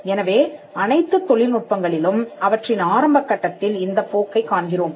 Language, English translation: Tamil, So, we see this in all technologies during the early stage of their life